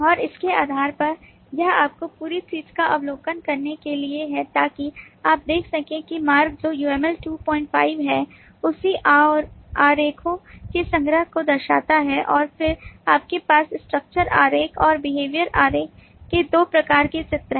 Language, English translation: Hindi, so you can see that the route is the uml 25 diagram, the collection of all diagrams, and then you have two types of diagrams: the structure diagram and behavior diagram